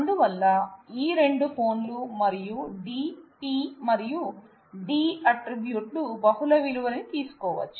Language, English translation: Telugu, So, both of these phones and dog like D, P and D attributes can take multiple values and ah